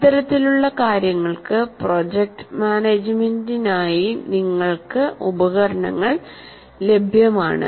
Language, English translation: Malayalam, For this kind of thing, you have tools available for project management